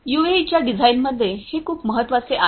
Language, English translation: Marathi, So, this is very important in the design of a UAV